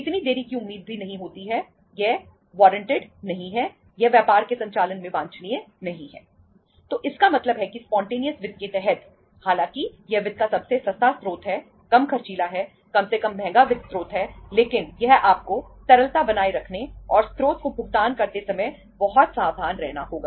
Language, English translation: Hindi, So means under the spontaneous finance though it is the cheapest source of finance, lesser costly, least costly source of finance but it is you have to be very very careful while maintaining the liquidity and making the payment to the source